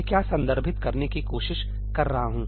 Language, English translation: Hindi, What am I trying to refer to